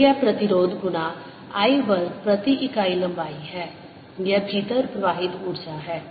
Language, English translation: Hindi, so this is resistance times i square per unit length